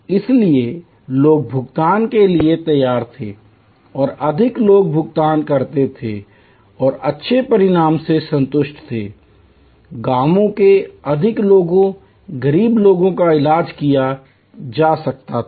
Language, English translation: Hindi, So, people were willing to pay and more people paid and were satisfied with good result, more people from villages, poor people could be treated